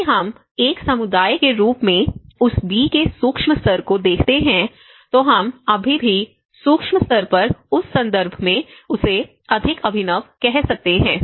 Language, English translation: Hindi, If we look at a micro level of that B as a community so, we can still call him more innovative in that context at a micro level